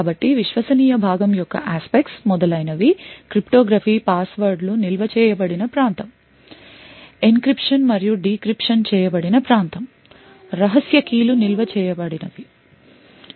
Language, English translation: Telugu, So, the trusted part would be aspects such as cryptography, whether a region where passwords are stored, a region where encryption and decryption is done, secret keys are stored and so on